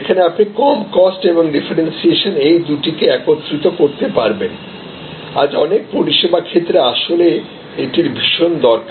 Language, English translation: Bengali, Where, you can combine low cost and differentiation, this is a key requirement today in many service areas